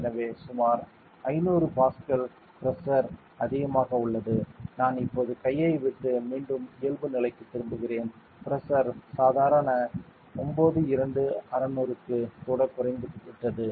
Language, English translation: Tamil, So, there is an increase of pressure of around 500 Pascal correct I am leaving the hand now again back to normal see the pressure has even dropped back to the normal 92600